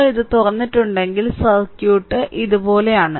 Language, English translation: Malayalam, So, if you open it your circuit will be like this circuit will be like this